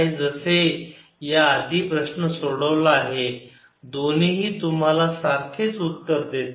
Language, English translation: Marathi, as the previous problems was done, both give you the same answer